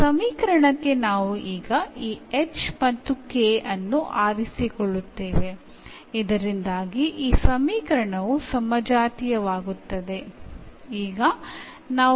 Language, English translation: Kannada, So, these equation we will choose now this h and k so that this equation becomes homogeneous